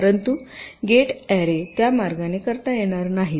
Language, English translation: Marathi, but gate arrays cannot be done in that way